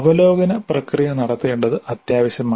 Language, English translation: Malayalam, So, it is essential to have a kind of a review process